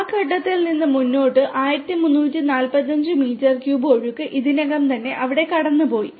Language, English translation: Malayalam, From that point forwards 1345 meter cube of flow has already been passed throughout there